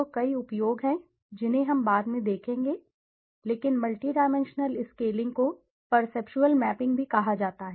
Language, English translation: Hindi, So, there are several uses which we will see later on, but multi dimensional scaling is also referred as perceptual mapping